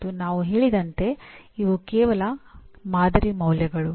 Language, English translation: Kannada, And as we said these are only sample values